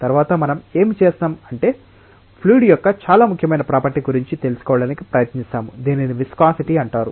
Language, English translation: Telugu, Next what we will do is we will try to learn about very important property of fluid, which is called as viscosity